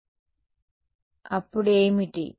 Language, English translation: Telugu, So, then what